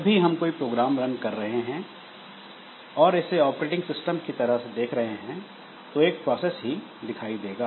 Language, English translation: Hindi, So, whenever we are running a program, so from an operating system angle, so it is looked as a process